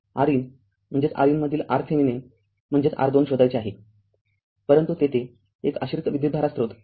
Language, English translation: Marathi, You have to find out your R in that is your R Thevenin between R in means R thevenin, but here one dependent current source is there